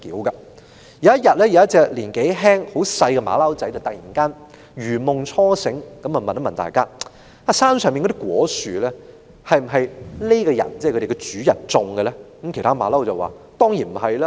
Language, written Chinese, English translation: Cantonese, 有一天，有一隻年紀輕的小猴子突然如夢初醒，問大家："山上那些果樹是否這個主人所種植的呢？, One day a realization suddenly dawned on a young infant . It asked the rest of the troop Are those fruit trees atop the hill planted by the master?